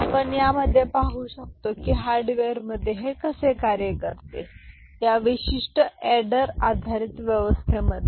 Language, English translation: Marathi, And we shall see that how it works in hardware all right, in this particular adder based arrangement